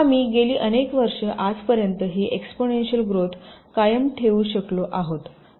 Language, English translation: Marathi, so this means some kind of an exponential growth over the years